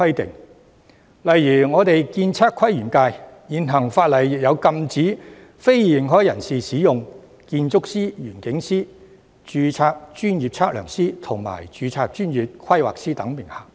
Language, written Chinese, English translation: Cantonese, 舉例說，我所屬的建測規園界的現行法例，亦禁止非認可人士使用建築師、園境師、註冊專業測量師及註冊專業規劃師等名銜。, For example the existing legislation governing the architectural surveying planning and landscape industry to which I belong also prohibits unauthorized persons from using titles such as architect landscape architect registered professional surveyor and registered professional planner